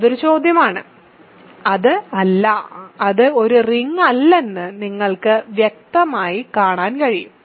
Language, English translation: Malayalam, That is a question right and you can clearly see that it is not, it is not a ring